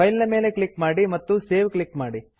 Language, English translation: Kannada, Click on File and Save